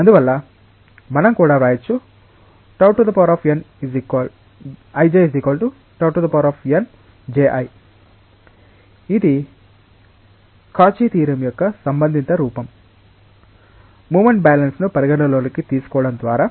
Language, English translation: Telugu, Therefore, we can also write this as tau i j n j, which is the corresponding form of the Cauchy s theorem by taking the moment balance into account